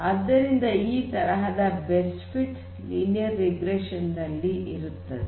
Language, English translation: Kannada, So, you have this kind of best fit kind of thing for linear regression